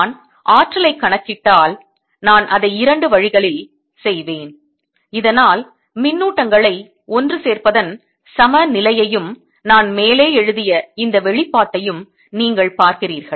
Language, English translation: Tamil, if i would calculate the energy, i will do it in two so that you see the equivalence of assembling the charges and this expression that i have written above